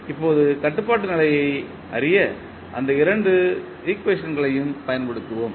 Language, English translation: Tamil, Now, we will use these two equations to find out the controllability condition